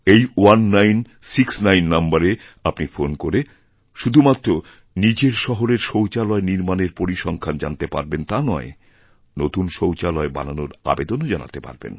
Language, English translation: Bengali, By dialing this number 1969 you will be able to know the progress of construction of toilets in your city and will also be able to submit an application for construction of a toilet